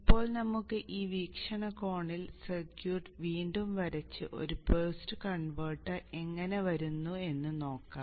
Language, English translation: Malayalam, Now let us redraw the circuit in that perspective and see how a boost converter comes into being